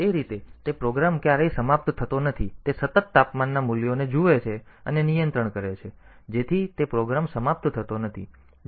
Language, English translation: Gujarati, So, that way that program never ends, so that continually looks into the temperature values and does the control, so that program does not end